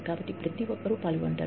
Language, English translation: Telugu, So, everybody is involved